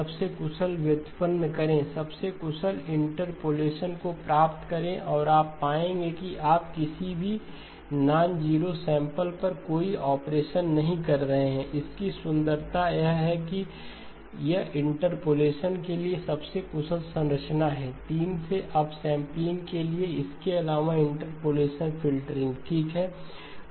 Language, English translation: Hindi, Derive the most efficient, derive the most efficient interpolation, and you will find that you are not doing any operation on any nonzero samples, it is the beauty of this is most efficient structure for interpolation, for upsampling by 3, plus interpolation filtering okay